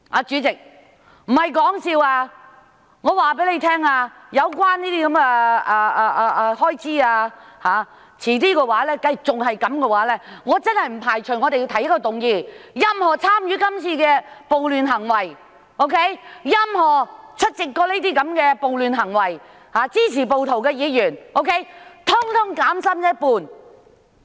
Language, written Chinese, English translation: Cantonese, 主席，我不是說笑，我要告訴大家，這種情況一旦持續下去，我真的不排除會提出一項議案，要求任何參與這次暴亂行為、曾經出席這些暴亂活動，以及支持暴徒的議員，通通減薪一半。, President I am not kidding . I have to tell all Members in case this situation persists I really will not rule out the possibility of proposing a motion to require all Members who have participated in the riots showed up in the riots and supported the rioters to have their remuneration cut by a half